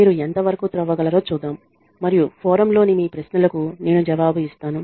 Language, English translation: Telugu, Let us see how much you can dig out and I will respond to your queries on the forum